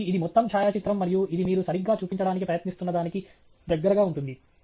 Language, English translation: Telugu, So, that’s the overall photograph and this is the close up of what you are trying to show right